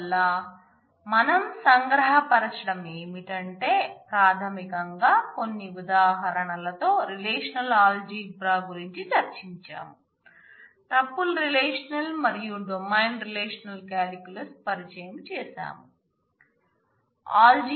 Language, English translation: Telugu, So, to summarize we have discussed primarily the relational algebra with some examples, we have introduced the tuple relational and domain relational calculus and through a set of examples